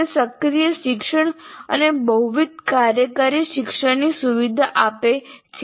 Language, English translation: Gujarati, And it facilitates, first of all, active learning, multifunctional learning